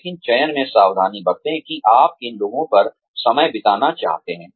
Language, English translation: Hindi, But, be careful in selecting, which ones, you want to spend time on